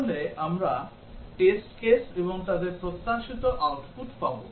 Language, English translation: Bengali, So, we will have the test cases and their expected outputs